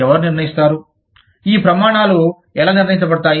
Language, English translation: Telugu, Who will decide, how these standards are decided